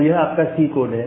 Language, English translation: Hindi, So, this is your C code well